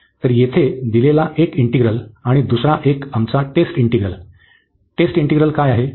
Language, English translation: Marathi, So, one this given integral here, and the another one our test integral, what is the test integral